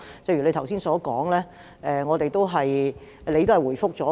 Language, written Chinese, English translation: Cantonese, 正如你剛才所說，你已經作出回覆。, As you said just now you have already made a reply